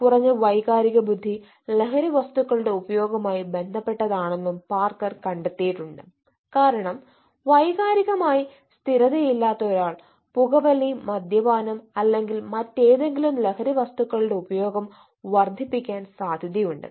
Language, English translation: Malayalam, um ah parker has also find out that eh low ei is related to substance use disorders because um ah a persons who is not emotionally stables eh is likely to enhance uh the intake of smoking, drinking, un alcohol or any other substance abuses